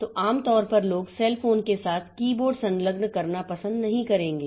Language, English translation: Hindi, So, normally people will not like to attach a keyboard with a cell phone